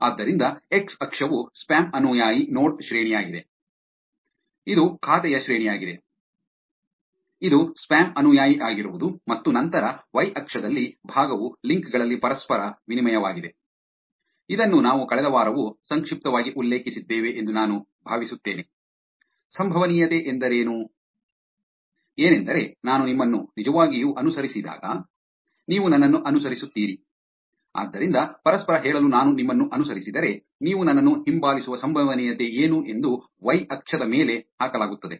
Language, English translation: Kannada, So, x axis is spam follower node rank which is the rank of the account, which is being a spam follower and then on the y axis is fraction reciprocated in links, which is I think we had briefly mentioned this last week also, the probability of you following me when I actually follow you, reciprocity so to say